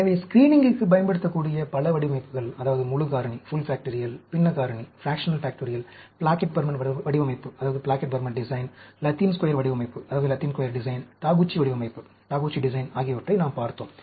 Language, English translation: Tamil, So, we have covered lot of designs which can be used for screening, the full factorial, the fractional factorial, the Plackett Burman design, the Latin Square design, the Taguchi design